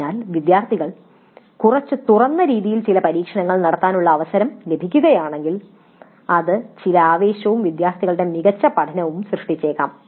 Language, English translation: Malayalam, So the students if they get an opportunity to conduct some of the experiments in a slightly open ended fashion it may create certain excitement as well as better learning by the students